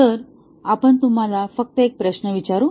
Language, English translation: Marathi, So, let us just ask you one question